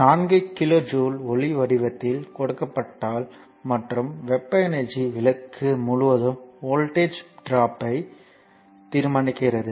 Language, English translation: Tamil, If 4 kilo joule is given off in the form of light and the and heat energy determine the voltage drop across the lamp